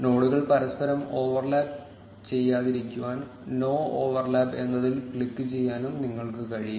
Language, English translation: Malayalam, You can also click on no overlap, so that the nodes no longer overlap each other